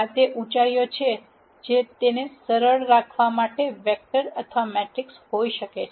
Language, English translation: Gujarati, These are the heights which can be a vector or matrices to keep it simple